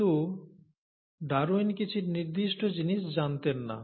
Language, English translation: Bengali, But, Darwin did not know certain things